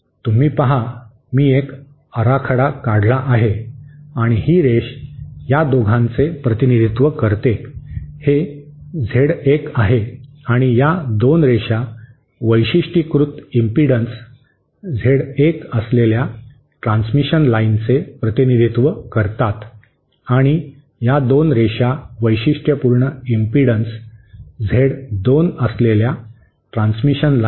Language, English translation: Marathi, You see, this is a schematic diagram that I have just drawn and this line represents these 2, this is Z1 and these 2 lines represent the transmission lines having characteristic impedance Z1 and these 2 lines represent the transmission lines having characteristic impedance Z2